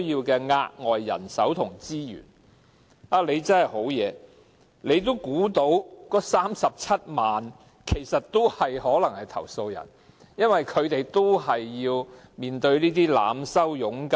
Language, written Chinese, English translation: Cantonese, 局長真的很厲害，他已估計到為數37萬的外傭可能成為投訴人，因為她們都被濫收佣金。, The Secretary is awesome indeed as he can already expect that as many as 370 000 foreign domestic helpers may become complainants because they have all been overcharged